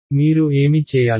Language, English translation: Telugu, What do you have to do